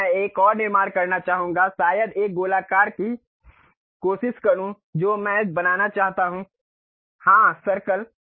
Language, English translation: Hindi, Here I would like to construct another maybe is try a circular one I would like to construct; so, Circle